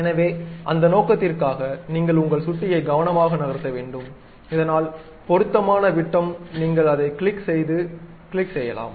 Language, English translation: Tamil, So, for that purpose, you have to carefully move your mouse, so that suitable diameter you can pick and click that